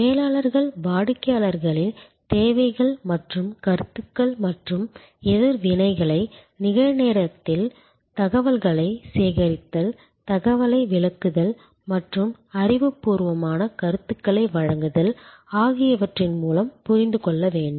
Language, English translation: Tamil, Managers can understand customers needs and opinions and reactions almost in real time through the system of gathering information, interpreting information and providing back knowledgeable feedback